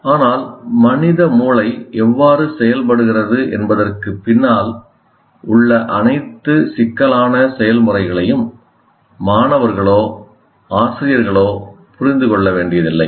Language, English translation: Tamil, But neither the students or teachers need to understand all the intricate processes behind how human brains work